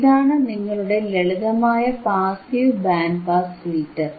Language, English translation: Malayalam, This is your simple passive band pass filter